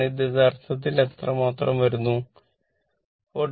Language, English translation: Malayalam, So, it is 43